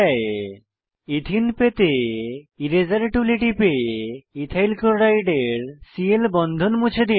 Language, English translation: Bengali, To obtain Ethene, click on Eraser tool and delete Cl bond of Ethyl chloride